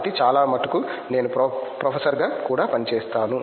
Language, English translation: Telugu, So, most probably I would be working as a professor also